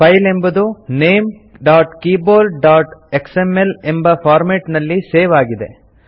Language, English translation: Kannada, The file is saved in the format ltnamegt.keyboard.xml.Click Close